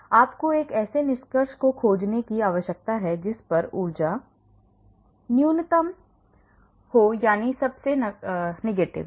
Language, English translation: Hindi, But you need to find a conformation at which the energy is minimum that means most negative